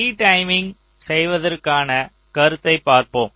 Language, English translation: Tamil, so lets see, lets look at the concept of retiming